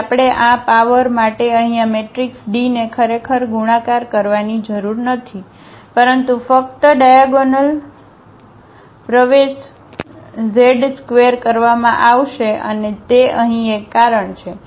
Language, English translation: Gujarati, So, we do not have to actually multiply these matrices D here for this power, but only the diagonal entries will be squared and that is a reason here